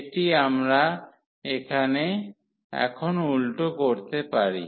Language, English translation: Bengali, So, this we can revert now